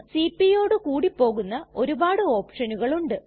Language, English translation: Malayalam, There are many options that go with cp